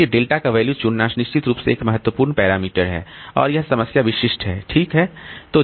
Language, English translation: Hindi, So, choosing the value of delta is definitely a critical parameter and it is problem specific